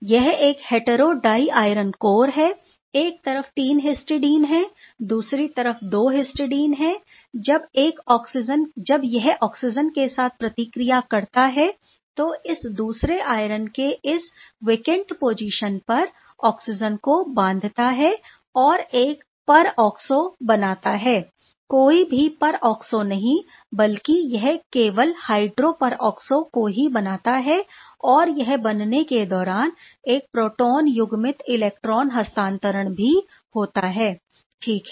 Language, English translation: Hindi, This is an unsymmetrical diiron core, one side is 3 histidine, another side is 2 histidine; it reacts with oxygen and binds oxygen at this vaccine site of the second iron center and form a peroxo but not just any peroxo it is a hydroperoxo while formation it is undergoing a proton coupled electron transfer right